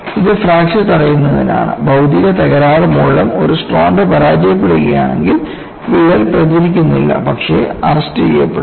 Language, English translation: Malayalam, It is for fracture prevention; if due to material defects one of the strands fails, that crack does not propagate, but gets arrested